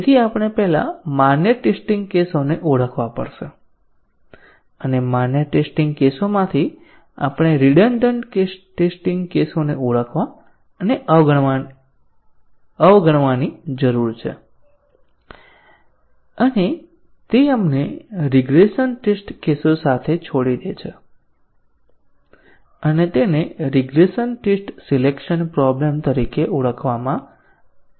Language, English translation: Gujarati, So, we have to first identify the valid test cases and out of the valid test cases, we need to identify and ignore the redundant test cases and that leaves us with the regression test cases and that is called as the regression test selection problem